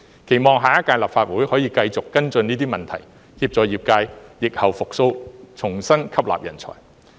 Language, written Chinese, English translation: Cantonese, 期望下一屆立法會可以繼續跟進這些問題，協助業界疫後復蘇，重新吸納人才。, I hope that the next Legislative Council can continue to follow up these problems and help the industry to revive and re - engage talents after the epidemic